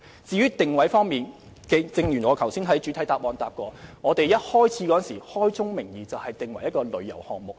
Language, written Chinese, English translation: Cantonese, 至於定位問題，正如我在主體答覆所說，當我們推出這項計劃時，已開宗明義訂為旅遊項目。, Regarding the positioning of the Scheme as I said in the main reply when we introduced food trucks we clearly stated at the outset that the Scheme was a tourism project